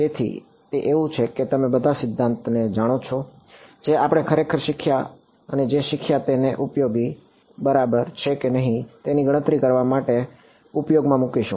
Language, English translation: Gujarati, So, that is like you know all the theory that we have learnt how do we finally, put it into used to calculate something it is useful ok